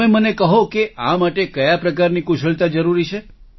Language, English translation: Gujarati, Tell us what kind of skills are required for this